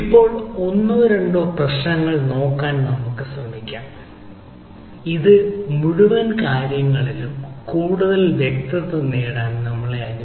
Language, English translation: Malayalam, right now we will try to look at one or two problems ah, which will allow us ah to have little more clarity on the whole ah thing